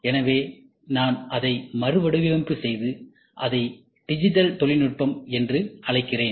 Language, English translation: Tamil, So, I would redraft it, and call it as digital technology